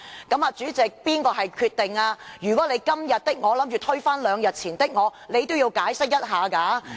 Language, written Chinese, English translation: Cantonese, 主席，這可是你所作的決定，如果你要"今天的我推翻兩天前的我"，也應作出解釋。, Chairman this is your own decision . If you wish to overturn the decision you made two days ago an explanation is in order